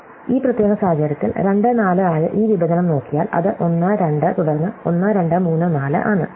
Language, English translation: Malayalam, So, in this particular case, if you look at this intersection, which is (2, 4), right, it is 1, 2 and then 1, 2, 3, 4